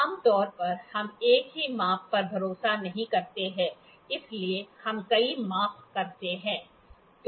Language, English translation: Hindi, Generally, we do not trust the single measurements we do multiple measurements